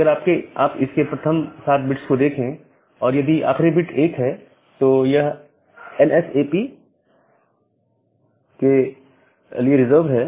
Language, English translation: Hindi, So, if you look into the first seven bit, if the last bit is 1, it is reserved for NSAP